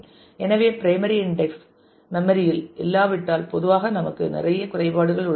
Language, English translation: Tamil, So, primary index if it is not in the memory then we usually have a lot of disadvantage